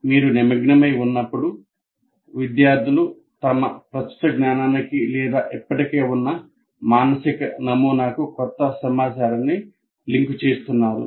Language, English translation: Telugu, So when they are engaging what are the students doing, they are linking the new information to their existing body of knowledge or existing mental model